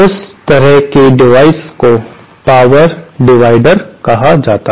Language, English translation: Hindi, That kind of device is called a power divider